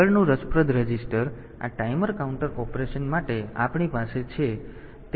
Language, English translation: Gujarati, Next interesting register, the that we have for this timer counter operation is the TCON register